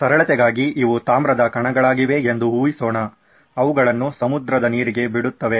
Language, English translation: Kannada, For simplicity sake let’s assume that these are copper particles which are let off into the seawater